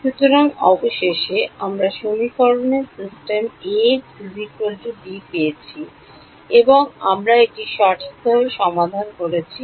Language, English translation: Bengali, So, finally, we got a system of equations a x is equal to b and we have solved it right